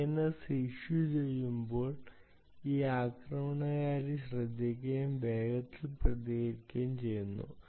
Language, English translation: Malayalam, when the dns goes out, this attacker listens and quickly responds